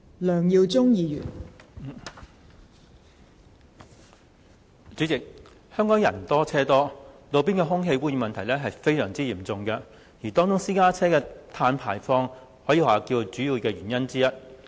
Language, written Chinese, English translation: Cantonese, 代理主席，香港人多車多，路邊空氣污染的問題十分嚴重，而私家車的碳排放是造成空氣污染的主要原因之一。, Deputy President with so many pedestrians and vehicles in Hong Kong the city faces a very serious problem of roadside air pollution . Carbon emission from private cars PCs is one of the major culprits of air pollution